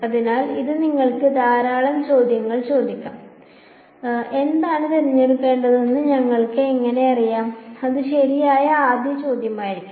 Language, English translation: Malayalam, So, this you can ask lots of questions how do we know what n to choose that would be the first question right